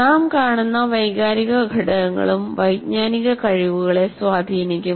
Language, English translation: Malayalam, For example, there are emotional factors that we see will also influence our cognitive abilities